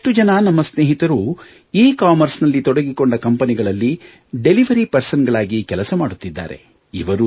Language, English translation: Kannada, Many of our friends are engaged with ecommerce companies as delivery personnel